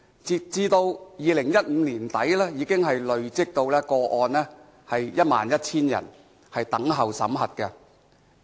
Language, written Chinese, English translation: Cantonese, 截止2015年年底，累積 11,000 宗個案等候審核。, As at the end of 2015 there was a backlog of 11 000 cases pending screening